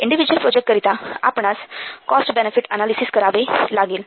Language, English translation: Marathi, For individual projects we have, you have to perform cost benefit analysis